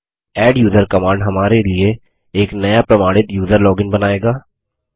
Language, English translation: Hindi, The adduser command will create a new user login for us along with authentication